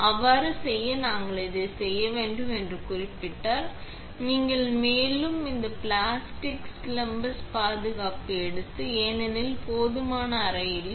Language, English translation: Tamil, However, it is noted that in order to do so, you would have to remove the top and take off this plastic splash guard because that just is not enough room for it